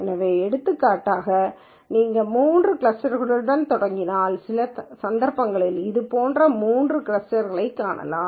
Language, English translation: Tamil, So, for example, if you start with 3 clusters you might in some instances find 3 clusters like this